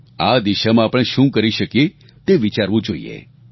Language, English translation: Gujarati, We should think about what more can be done in this direction